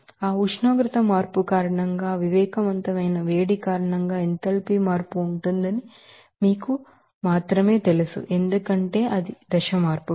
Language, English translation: Telugu, So, only you know that enthalpy change will be because of that sensible heat because of that temperature change, because of that a phase change